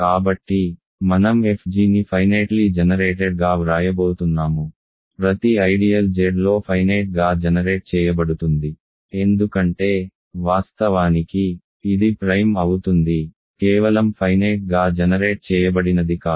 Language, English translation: Telugu, So, I am going to write fg is short for finitely generated ok, every ideal is finitely generated in Z because, in fact, it is principal, not just finitely generated right